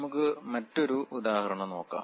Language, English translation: Malayalam, Let us look at another example